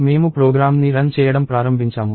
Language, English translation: Telugu, So, I start running the program